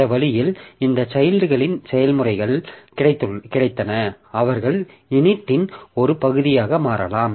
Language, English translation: Tamil, So, that way we have got this children processes they can become part of init and continue like that